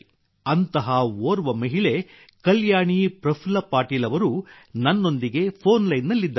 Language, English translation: Kannada, One such lady, Kalyani Prafulla Patil ji is on the phone line with me